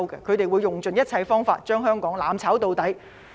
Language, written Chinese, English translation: Cantonese, 他們會用盡一切方法，將香港"攬炒到底"。, They will do everything to destroy Hong Kong all the way